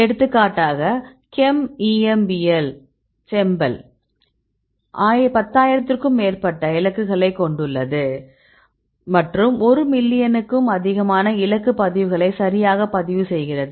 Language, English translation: Tamil, For example the ChEMBEL chembl it has more than 10,000 targets right and the target records more than one million target records right